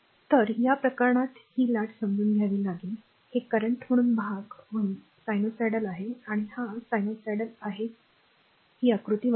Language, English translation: Marathi, So, in this case you are this is understand the wave, this is sinusoidal and little bit as portion as cutter or this is sinusoidal or this is figure 1